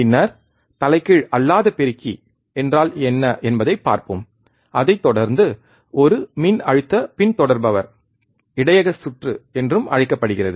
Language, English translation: Tamil, Then we will look at what a non inverting amplifier is, followed by a voltage follower also called buffer circuit